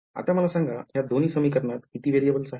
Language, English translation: Marathi, Now, let me ask you how many variables are there in these 2 equations